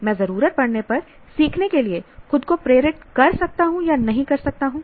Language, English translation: Hindi, I cannot motivate myself to learn when I need to